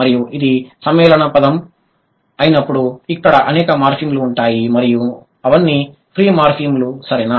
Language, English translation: Telugu, And when it is a compound word, there are many morphems and all of them are free